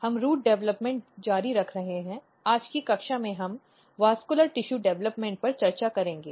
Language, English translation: Hindi, So, we are continuing Root Development, in today’s class we will discuss vascular tissue development